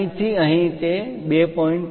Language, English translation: Gujarati, From here to here that is 2